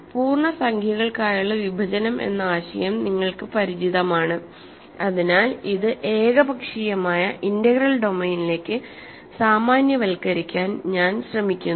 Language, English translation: Malayalam, So, you are familiar with the notion of division for integers so, I am trying to generalize this to an arbitrary integral domain